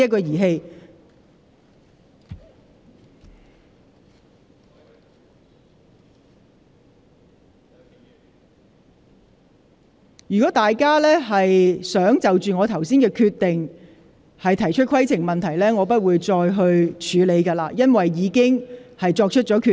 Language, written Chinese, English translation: Cantonese, 倘若議員再次就我剛才的決定提出規程問題，我將不會處理，因為我已作出決定。, If Members raise further points of order on the decision I made just now I will not deal with them because I have made a decision